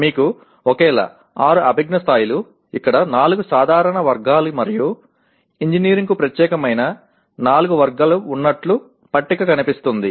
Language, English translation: Telugu, The table looks like you have the same, 6 cognitive levels, 4 general categories here and then 4 category specific to engineering